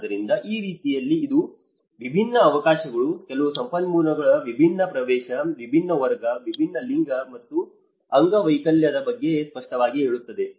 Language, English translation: Kannada, So, in that way, it obviously talks about different opportunities, different access to certain resources, different class, different gender and the disability